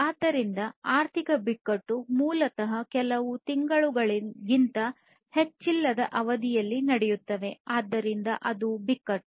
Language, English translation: Kannada, So, economic crisis basically takes place over a duration not more than a few months, so that is the crisis